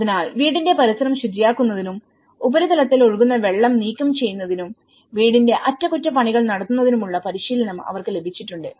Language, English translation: Malayalam, So, they have been got training on the cleaning the area around the house removing superficial run off water, house maintenance